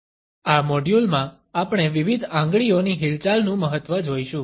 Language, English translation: Gujarati, In this module, we would look at the significance of different Finger Movements